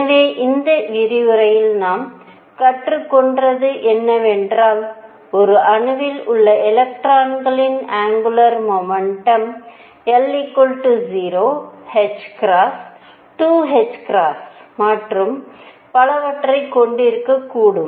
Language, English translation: Tamil, So, to conclude this what we have learnt in this lecture is that angular momentum of electron in an atom could have values l equals 0, h cross, 2 h cross and so on